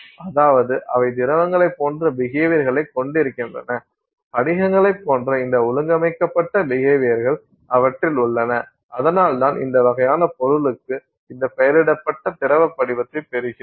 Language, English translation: Tamil, I mean so, so they have behavior that is similar to liquids, they also have this organized behavior similar to crystals and that is why you get this name liquid crystal for this kind of a material